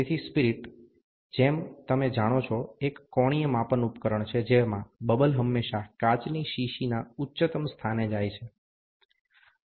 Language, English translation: Gujarati, So, a spirit, as you are aware, is an angular measuring device in which the bubble always moves to the highest point of the glass vial